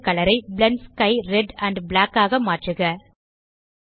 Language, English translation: Tamil, Change world colour to Blend sky Red and black